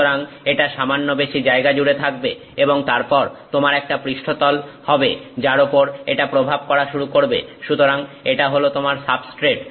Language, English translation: Bengali, So, it is having little higher space and then you have a surface on which it is going to be impacting; so, that is your substrate